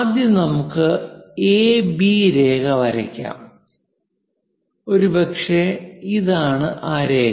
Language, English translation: Malayalam, Let us first draw a line AB; maybe this is the line; let us join it